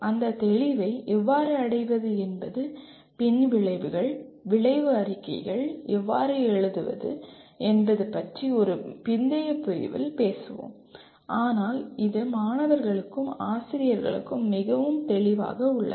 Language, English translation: Tamil, How to achieve that clarity we will talk about in a later unit how to write the outcomes, outcome statements but it is very clear to the students and teachers